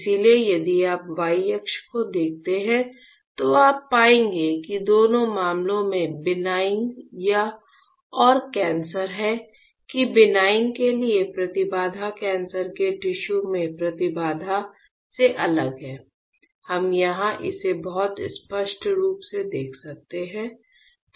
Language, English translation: Hindi, So, if you see the y axis what you will find out in both the cases there is benign and cancer that the impedance for benign is different than impedance of the cancerous tissues alright; we can here very clearly see that